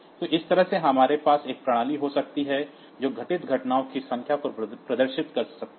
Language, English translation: Hindi, So, that way we can have a system that can display the number of events that have occurred